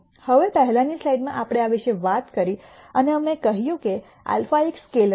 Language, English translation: Gujarati, Now, in the previous slide we talked about this and we said alpha is a scalar